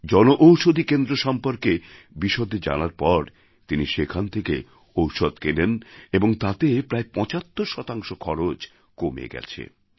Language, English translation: Bengali, But now that he's come to know of the Jan Aushadhi Kendra, he has begun purchasing medicines from there and his expenses have been reduced by about 75%